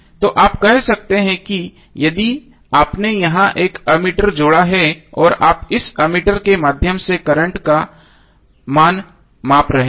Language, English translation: Hindi, So you can say that if you added one ammeter here and you are measuring the value of current through this ammeter